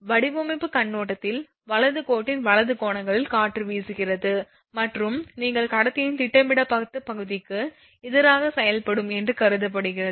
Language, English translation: Tamil, From the design point of view it is considered that that the wind is blowing at right angles of the line right and to act against the your projected area of the conductor